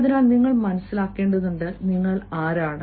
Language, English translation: Malayalam, so you need to understand who you are